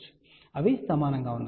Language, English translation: Telugu, So, they are equal